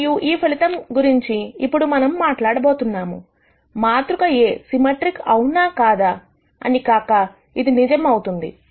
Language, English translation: Telugu, And this result that we are going to talk about right now, is true whether the matrix is A symmetric or not